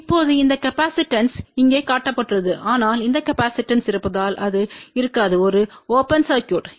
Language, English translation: Tamil, Now this capacitance is shown over here, but that capacitance won't be there because there is an open circuit